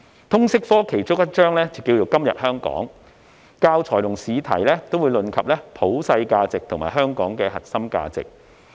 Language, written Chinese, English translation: Cantonese, 通識科其中一章是"今日香港"，教材和試題也會論及普世價值和香港的核心價值。, One of the modules of LS is Hong Kong Today under which the teaching materials and examination questions cover universal values and the core values of Hong Kong